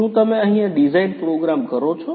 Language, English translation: Gujarati, Do you program the design here